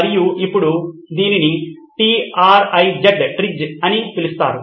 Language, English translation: Telugu, And it’s now popularly known as TRIZ, T R I Z